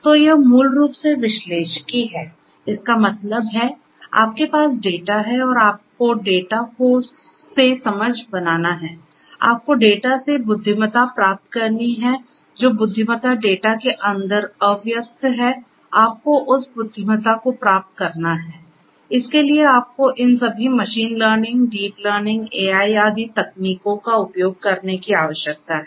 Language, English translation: Hindi, So, that is basically the analytics; that means, you have the data and you have to make sense out of the data; you have to get intelligence out of the data, the intelligence that is latent inside the data you have to get that intelligence out for that you need to use all these machine learning, deep learning AI techniques and so on